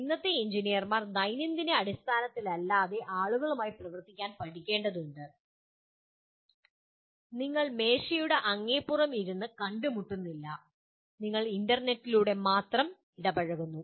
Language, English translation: Malayalam, The present day engineers will have to learn to work with people who are not on day to day basis you are not meeting across the table and you are only interacting over the internet